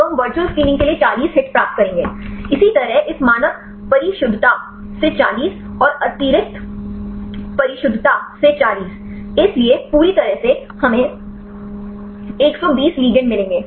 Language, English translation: Hindi, So, we will get the 40 hits for the virtual screening; likewise 40 from this standard precision and 40 from the extra precision; so, totally we will get 120 ligands